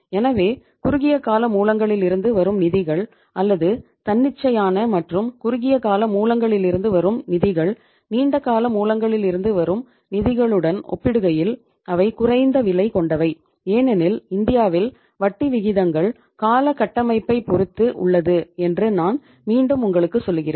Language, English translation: Tamil, So funds coming from the short term sources or the from say uh spontaneous and short term sources they are less costly as compared to the funds coming from the long term sources because in India as I am repeating that we have the term structure of interest rates